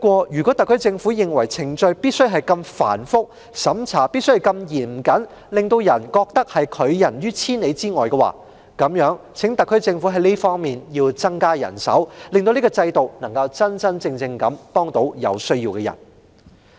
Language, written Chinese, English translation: Cantonese, 如果特區政府認為程序必須如此繁複、審查必須如此嚴謹，令市民感到被拒於千里之外的話，那麼就請特區政府增加這方面的人手，令這個制度能真正幫助有需要的人。, If the SAR Government holds that the procedures must be so complicated and the vetting must be so stringent to make the people feel that such assistance is hardly attainable then will it please increase the manpower on this front so that this system can genuinely help the people in need